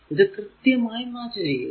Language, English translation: Malayalam, So, it is exactly matching